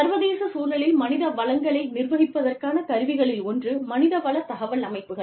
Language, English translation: Tamil, One of the tools of managing, human resources in the international context is, the human resource information systems